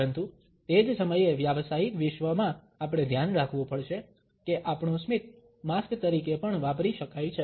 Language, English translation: Gujarati, But at the same time in the professional world we have to be aware that our smile can also be used as a mask